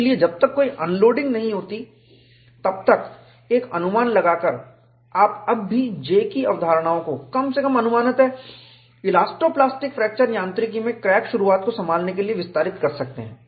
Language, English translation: Hindi, So, by bringing an approximation, as long as no unloading takes place, you can still extend the concepts of J, at least approximately, to handle crack initiation elasto plastic fracture mechanics